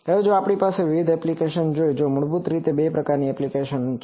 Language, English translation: Gujarati, Now, so if we see various applications, there are basically two types of application